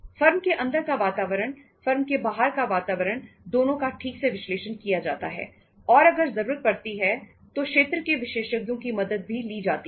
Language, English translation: Hindi, The environment inside the firm, environment outside the firm both are properly analyzed and if need arises the help of the experts in that area is also taken